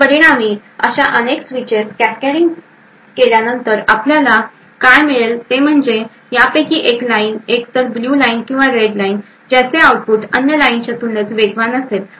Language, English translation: Marathi, So, as a result, after cascading through a number of such switches what we get is that one of these lines either the blue or the Red Line would reach the output faster than the other line